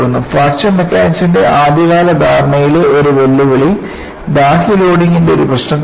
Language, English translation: Malayalam, And, one of the challenges in early understanding of Fracture Mechanics is, in a given problem of external loading